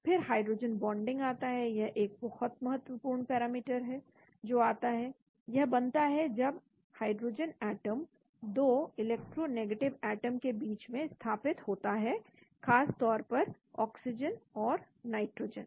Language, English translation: Hindi, Then comes hydrogen bonding this is a very important parameter which comes, forms when hydrogen atom is positioned between 2 electronegative atoms, mainly oxygen and nitrogen